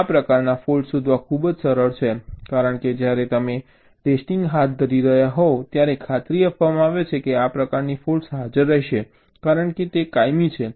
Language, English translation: Gujarati, these kind of faults are much easier to detect because when you are carrying out the testing, it is guaranteed that this kind of faults will be present because it is permanent